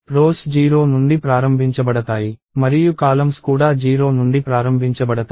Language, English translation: Telugu, So, the rows get numbered from 0 and the columns get numbered from 0 as well